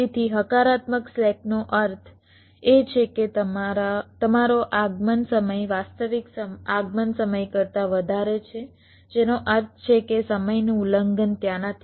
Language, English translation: Gujarati, so a positive slack means your required arrival time is greater than the actual time, actual arrival, which means the timing violation not there